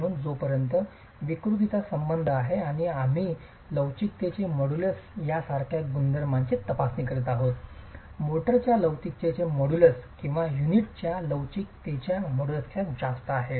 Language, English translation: Marathi, As far as deformability is concerned and we are examining a property such as the modulus of elasticity, the modulus of elasticity of motor is higher than the modulus of elasticity of unit